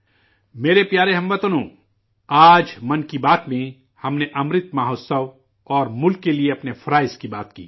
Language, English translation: Urdu, My dear countrymen, today in 'Mann Ki Baat' we talked about 'Amrit Mahotsav' and our duties towards the country